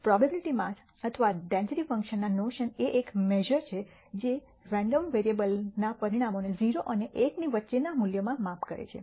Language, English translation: Gujarati, The notion of a probability mass or a density function is a measure that maps the outcomes of a random variable to values between 0 and 1